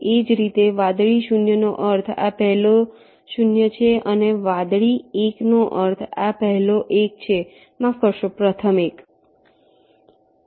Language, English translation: Gujarati, similarly, blue zero means this is the first zero and blue one means this is the ah